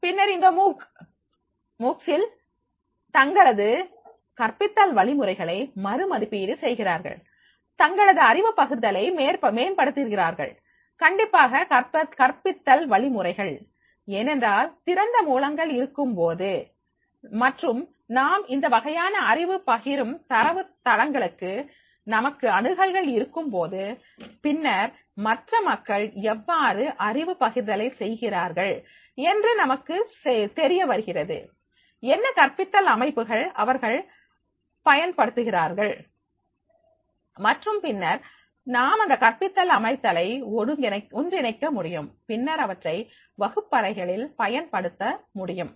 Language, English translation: Tamil, Then in this MOOCs help them evaluate their pedagogical methods while improving knowledge sharing, definitely the methods by the pedagogia because when we are having the open source and when we access to this type of the knowledge sharing databases, then we also know that is how other people they are making the sharing of knowledge, what pedagogical systems they are using and then we can incorporate those pedagogical system and then we can make use in the classroom